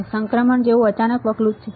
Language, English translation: Gujarati, It is a sudden step like transition